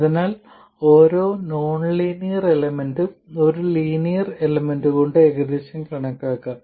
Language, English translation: Malayalam, So, every nonlinear element can be approximated by a linear element